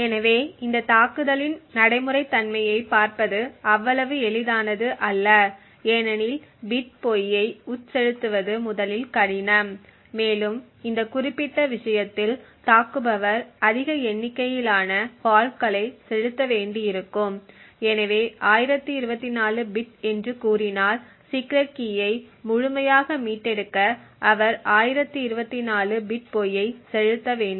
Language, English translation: Tamil, So looking at the practicality of this attack it is not going to be that easy because injecting bit false is first of all difficult and in this particular case the attacker would need to inject a large number of faults so if the key side is say 1024 bit he would need to inject 1024 bit false in order to fully recover the secret key